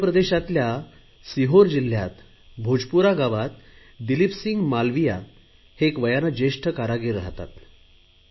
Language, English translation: Marathi, Dileep Singh Malviya is an elderly artisan from Bhojpura village in Sehore district of Madhya Pradesh